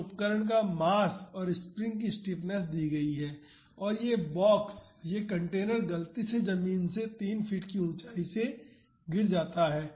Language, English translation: Hindi, And, mass and mass of the instrument and this stiffness of the springs are given, and this box this container is accidentally dropped from a height of 3 feet above the ground